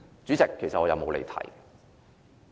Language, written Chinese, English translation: Cantonese, 主席，我其實沒有離題。, President in fact I have not digressed